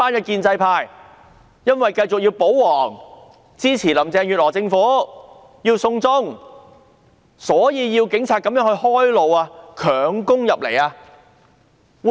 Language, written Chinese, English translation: Cantonese, 建制派是否因為要保皇、要支持林鄭月娥政府、要"送中"，所以要警察開路，強攻入立法會？, Did the pro - establishment camp ask the Police to clear the traffic so that they could force their way into the Complex to defend the Government to support the Carrie LAM Administration and the China extradition bill?